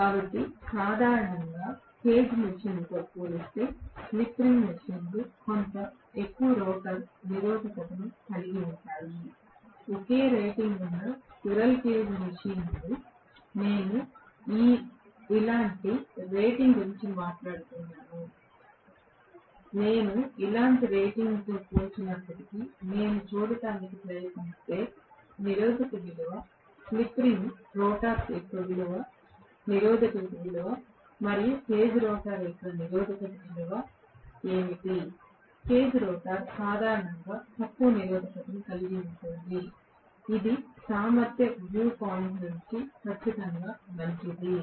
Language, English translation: Telugu, So, generally, slip ring machines will have somewhat higher rotor resistance as compared to the cage machines, squirrel cage machines which are of the same rating, I am talking about similar rating, even if I compare similar ratings if I try to look at the resistive value, resistance value of a slip ring rotors resistance versus what is the resistance of the cage rotor, cage rotor will normally have lower resistance which is definitely good from efficiency view point